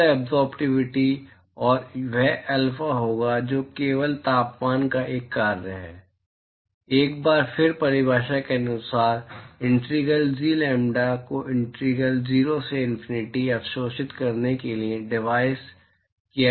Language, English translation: Hindi, Total absorptivity, and that will be alpha which is only a function of temperature, once again by definition will be integral G lambda divided by integral 0 to infinity absorbed